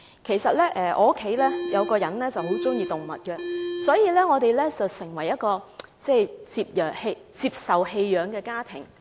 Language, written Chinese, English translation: Cantonese, 由於我有一名家庭成員很喜歡動物，我們的家已成為一個接收棄養動物的地方。, Since I have a family member who loves animals our family has become a shelter to receive abandoned animals